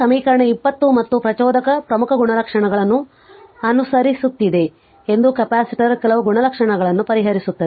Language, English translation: Kannada, So, equation 20 that means, this equation 20 as well you are following important properties of an inductor can be noted like capacitor also we solve some property